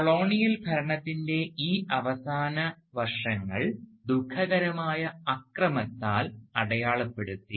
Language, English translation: Malayalam, And these last years of the colonial rule was marked by calamitous violence